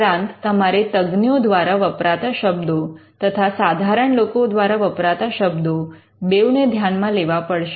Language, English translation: Gujarati, And you would also look at words used by experts, as well as words used by laymen